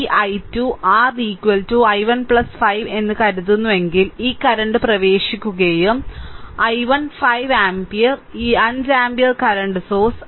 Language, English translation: Malayalam, So, this; if you if you think that this i 2 this i 2 your is equal to is equal to i 1 plus 5 because this current is entering and i 1 and 5 ampere this 5 ampere current source